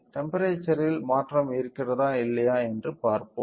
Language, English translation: Tamil, Let us see whether there is a change in the temperature or not